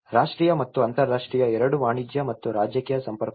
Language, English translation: Kannada, Commercial and political contacts at both national and international